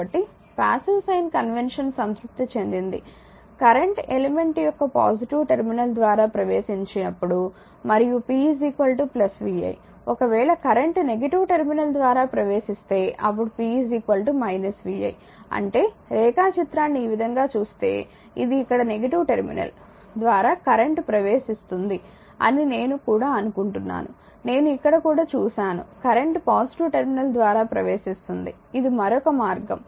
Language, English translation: Telugu, So, passive sign convention is satisfied I told you when the current enters through the positive terminal of an element and p is equal to plus vi; however, if the current enters your through the negative terminal, then p is equal to minus vi; that means, if you look at the diagram other way I think it is current entering through the negative terminal here also I have made I here it is another way is that current entering through the positive terminal it is i